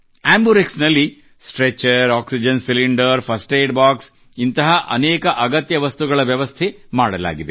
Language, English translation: Kannada, An AmbuRx is equipped with a Stretcher, Oxygen Cylinder, First Aid Box and other things